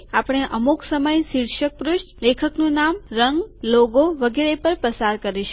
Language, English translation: Gujarati, We will spend some time on title page, author name, color, logo etc